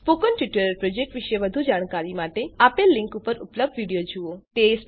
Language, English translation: Gujarati, To know more about the Spoken Tutorial project, watch the video available at the following link